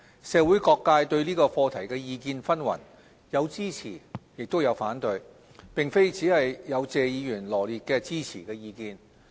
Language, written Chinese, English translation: Cantonese, 社會各界對這課題的意見紛紜，有支持亦有反對，並非只有謝議員羅列的支持意見。, There are divergent opinions from the community not only the supporting views as listed out by Mr TSE